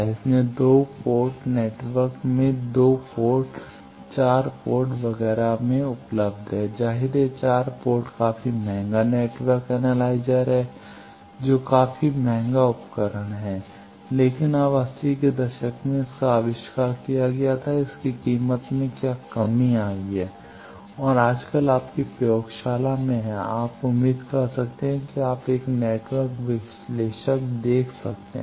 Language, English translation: Hindi, So, in A 2 port network, these are available in 2 port, 4 port etcetera obviously, 4 port is quite costly network analyzer is a quite costly equipment, but now what is its price is coming down in eighties it was invented and nowadays in your lab, you can hopefully see a network analyzer